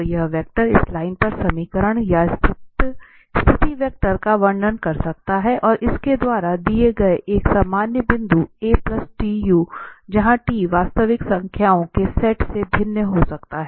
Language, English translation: Hindi, So that is this position vector r can describe the equation or the position vector on this line, a general point given by this a plus t, u where t can vary from the set of real numbers